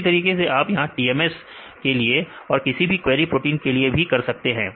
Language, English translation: Hindi, Likewise you can do for the TMS and your query protein here